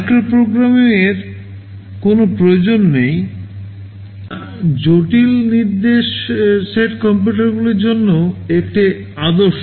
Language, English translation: Bengali, TSo, there is no need for micro programming which that is a standard norm for the complex instruction set computers